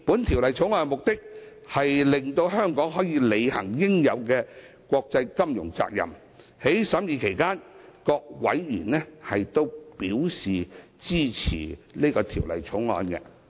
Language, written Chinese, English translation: Cantonese, 《條例草案》的目的，是令香港可以履行應有的國際金融責任，各委員在審議期間亦對此表示支持。, The Bill seeks to enable Hong Kong to fulfil its international financial obligations . All members have expressed their support for this objective during the deliberation